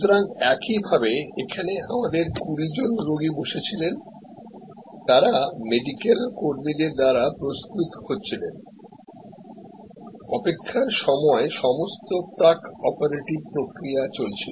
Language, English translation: Bengali, So, similarly here we had 20 patients seated in the hall way, they were getting prepared by the medical staff, all the pre operative procedures were going on while they were waiting